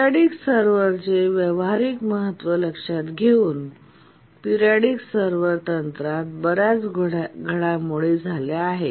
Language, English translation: Marathi, Considering the practical importance of the periodic servers, lot of work has, a lot of developments have taken place in the periodic server technique